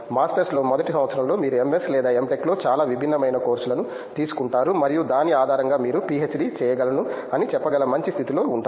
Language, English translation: Telugu, In the masters, in the first year you will undergo lot of different course work at whether MS or M Tech and based on that you will be in a better position to tell okay PhD is for me